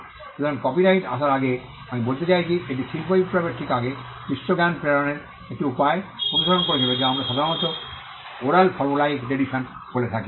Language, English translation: Bengali, So, before copyright came, I mean this is just before the industrial revolution, the world followed a means of transmitting knowledge what we commonly called the oral formulaic tradition